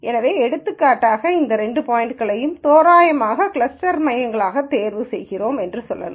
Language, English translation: Tamil, So, for example, let us say we randomly choose two points as cluster centres